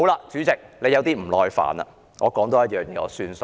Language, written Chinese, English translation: Cantonese, 主席，你有點不耐煩了，我多提一點便作罷。, President you have got a bit impatient . I will only mention one more point